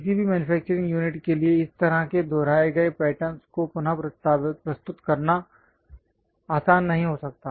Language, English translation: Hindi, It might not be easy for any manufacturing unit to reproduce such kind of repeated patterns